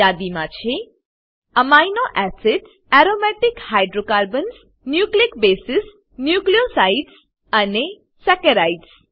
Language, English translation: Gujarati, List contains Amino acids, Aromatic hydrocarbons, Nucleic bases, Nucleosides and Saccharides